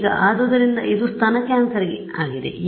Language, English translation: Kannada, Now, so this is for breast cancer